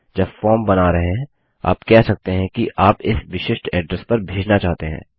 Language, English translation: Hindi, When creating a form, you could say you want to send to this particular address